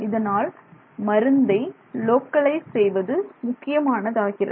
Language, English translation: Tamil, So localizing the drug release is very important